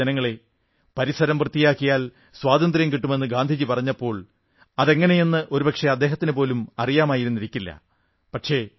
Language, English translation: Malayalam, My dear countrymen, when Gandhiji said that by maintaining cleanliness, freedom will be won then he probably was not aware how this would happen